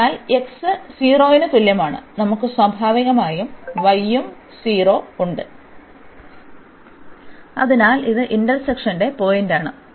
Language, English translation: Malayalam, So, at x is equal to 0 we have the y also 0 naturally, so this is the point of intersection